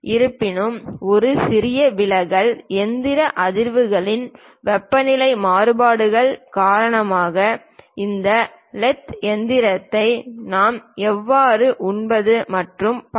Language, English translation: Tamil, But a small deviation, because of mechanical vibrations temperature variations are the way how we feed this lathe machine and so on